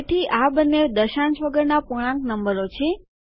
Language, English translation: Gujarati, So, these are both integer numbers with no decimal point